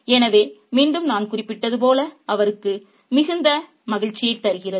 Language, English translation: Tamil, So, that again, as I mentioned, gives him a lot of delight